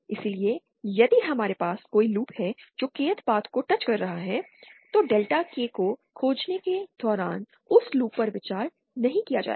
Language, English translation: Hindi, So, if we have any loop that is touching the Kth path, then that loop will not be considered while finding out Delta K